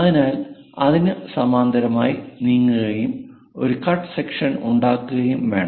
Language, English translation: Malayalam, So, we have to move parallel to that and perhaps make a cut section